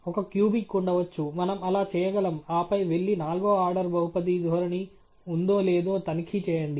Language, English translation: Telugu, There could be, of course, a cubic one, we could do that, and then go on and check if there was a fourth order polynomial trend and so on